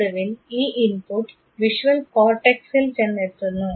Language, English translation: Malayalam, Finally, the input reaches the visual cortex